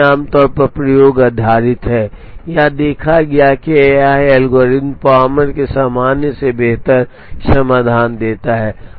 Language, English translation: Hindi, It is also generally based on experimentation, it is observed that this algorithm gives better solutions than the Palmer’s in general